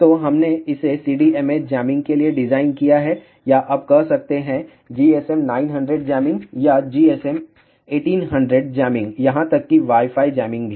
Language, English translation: Hindi, So, we designed it for CDMA jamming or you can say GSM 900 jamming or even GSM 800 jamming even Wi Fi jamming also